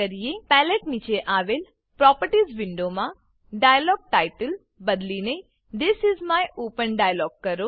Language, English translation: Gujarati, In the Properties window below the Palette, Change the dialogTitle to This is my open dialog